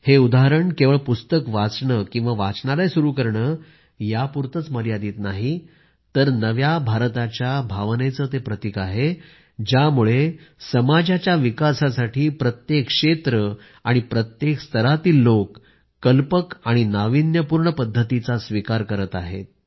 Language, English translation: Marathi, These examples are not limited just to reading books or opening libraries, but are also symbolic of that spirit of the New India, where in every field, people of every stratum are adopting innovative ways for the development of the society